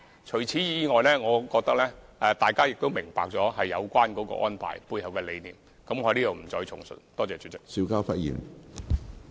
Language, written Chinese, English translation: Cantonese, 除此之外，我相信大家也明白有關安排的背後理念，我在此不再複述。, On top of this I believe that Members understand the idea behind the arrangement therefore I will not repeat the details here